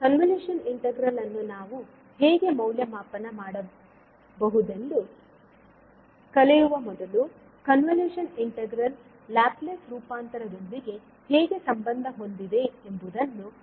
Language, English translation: Kannada, Now before learning how we can evaluate the convolution integral, let us first understand how the convolution integral is linked with the Laplace transform